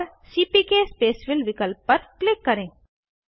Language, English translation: Hindi, And click on CPK Spacefill option